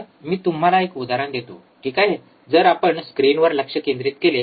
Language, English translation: Marathi, So, for that let me give you an example, all right so, if we focus on screen